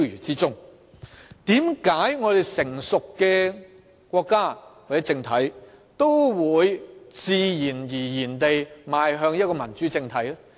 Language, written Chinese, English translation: Cantonese, 為何一個成熟的國家或政體也會自然而然地邁向一個民主政體呢？, Why that a mature nation or political regime will naturally transform into a democratic political regime?